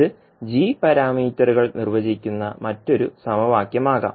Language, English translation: Malayalam, So, this can be another set of equations which will define the g parameters